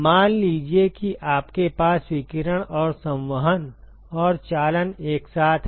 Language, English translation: Hindi, Suppose you have radiation and convection and conduction simultaneously ok